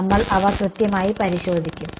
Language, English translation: Malayalam, We will check them exactly right